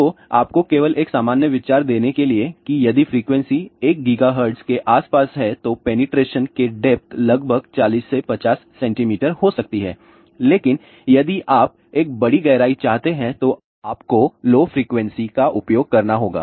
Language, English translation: Hindi, So, just you give you a general idea if the frequency is around 1 gigahertz the depth of penetration can be about 40 to 50 centimeter , but if you want a larger depth then you have to use lower frequencies